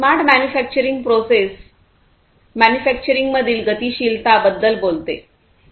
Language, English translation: Marathi, Smart manufacturing process talks about the dynamism in the manufacturing